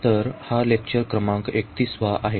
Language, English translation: Marathi, So, this is lecture number 31